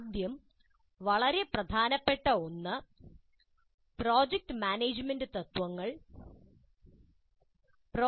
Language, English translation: Malayalam, The first very important one is that project management principles